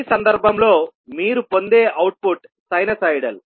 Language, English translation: Telugu, The output which you will get in this case is sinusoidal